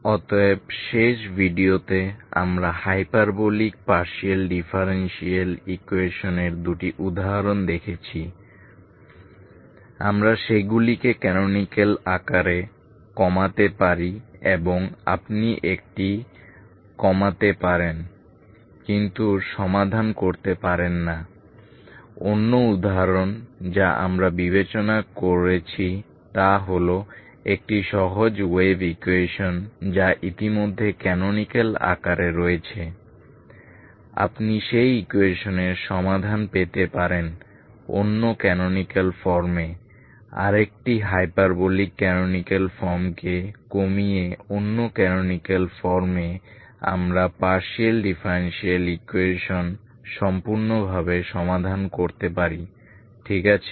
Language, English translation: Bengali, So last video we have seen two examples of hyperbolic partial differential equations we reduce them into canonical form and one you could reduce but you could not solve it other example we have consider is a simpler one that is wave equation which is already in the canonical form one canonical form you can get the solution of that equation by reducing into another canonical form, another hyperbolic canonical form by reducing that into another canonical form we could solve the partial differential equation completely, ok